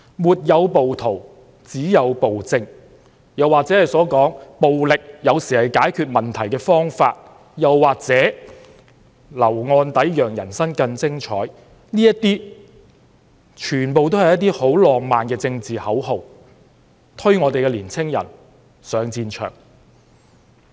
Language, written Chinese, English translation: Cantonese, "沒有暴徒，只有暴政"，"暴力有時候是解決問題的方法"，"留案底讓人生更精彩"，這些全都是一些很浪漫的政治口號，推年青人上戰場。, No rioters only tyranny violence is sometimes a solution to the problem criminal records make the life more exciting are all romantic slogans that push young people to the battlefield